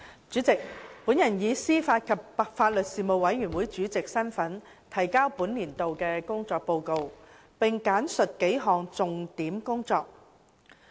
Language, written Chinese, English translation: Cantonese, 主席，本人以司法及法律事務委員會主席身份，提交本年度的工作報告，並簡述幾項重點工作。, President in my capacity as the Chairman of the Panel on Administration of Justice and Legal Services the Panel I present a report on the work of the Panel in this year and briefly highlight several major items of work